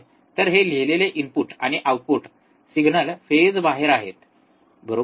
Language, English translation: Marathi, So, this is what is written input and output signals are out of phase, right